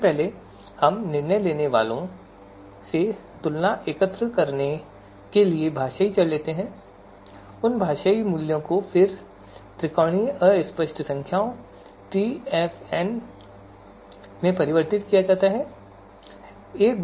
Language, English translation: Hindi, So if we look at this you know if we take the linguistic variables to gather the you know, comparisons from the decision makers and those linguistic you know values then are converted into you know TFNs Triangular Fuzzy Numbers